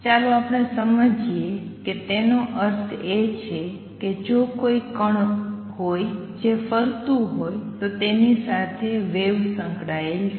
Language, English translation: Gujarati, Let us understand that, what it means is that if there is a particle which is moving there is a associated wave